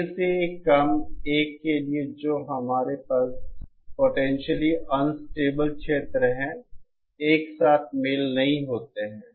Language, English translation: Hindi, For K lesser than 1 that is now we are having a potentially unstable region, a simultaneous match does not exist